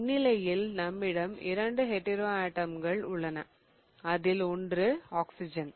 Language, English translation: Tamil, So, in this case we have two hetero atoms, we have an oxygen here